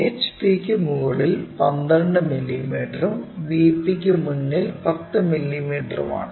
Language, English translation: Malayalam, And A is 12 mm above HP and 10 mm in front of VP